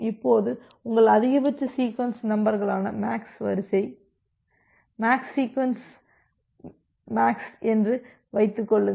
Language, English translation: Tamil, Now assume that MAX sequence MAX SEQ MAX sequence this your maximum sequence number